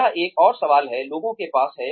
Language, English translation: Hindi, that is another question, people have